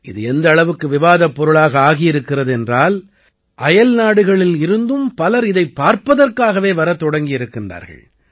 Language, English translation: Tamil, There is so much talk of this change, that many people from abroad have started coming to see it